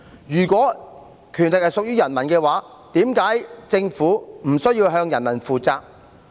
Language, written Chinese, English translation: Cantonese, 如果權力屬於人民，為何政府無須向人民負責？, If power belongs to the people why is the Government not required to be accountable to the people?